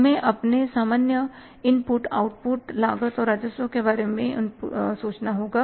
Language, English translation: Hindi, We have to think about our general input outputs, cost and revenues